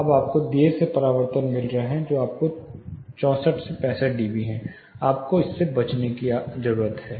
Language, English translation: Hindi, Now you are getting a late reflection which is around 64 65 db; say 64 decibel which needs to be avoided